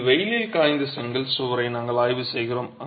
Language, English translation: Tamil, So, it is a sun dried brick wall that we are examining